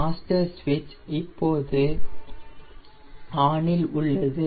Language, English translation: Tamil, my master switch is now on